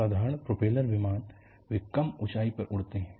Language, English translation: Hindi, Inthe ordinary propeller planes, they fly at lower altitudes